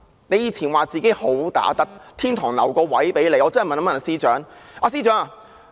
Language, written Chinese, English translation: Cantonese, 她以前說自己"好打得"，天堂留了一個位置給她。, She used to say she was a good fighter with a place reserved for her in heaven